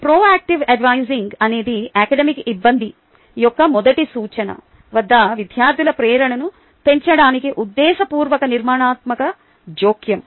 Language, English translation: Telugu, proactive advising is a deliberate, structured intervention to enhance student motivation at the first indication of academic difficulty